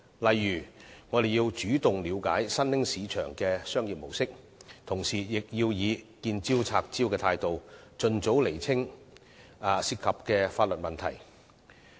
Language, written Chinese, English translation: Cantonese, 例如，我們要主動了解新興市場的商業模式，同時以"見招拆招"的態度，盡早釐清牽涉的法律問題。, For instance we should take the initiative to gain an understanding of the business models of emerging markets . Meanwhile we should deal with the problem when it pops up and expeditiously clarify the legal issues involved